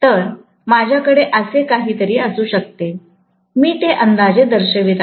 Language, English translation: Marathi, So, I can have something like this, I am just showing approximately